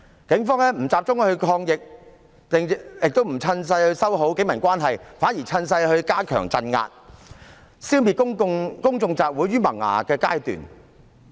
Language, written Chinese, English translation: Cantonese, 警方不集中抗疫，亦不趁勢修好警民關係，反而趁勢加強鎮壓，消滅公眾集會於萌芽的階段。, The Police did not focus on fighting the epidemic . Neither did they take the opportunity to mend their relationship with the public . Instead they took the opportunity to strengthen suppression and nip public meetings in the bud